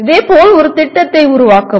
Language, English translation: Tamil, Similarly, create a plan